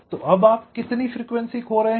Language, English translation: Hindi, so now how much frequency your loosing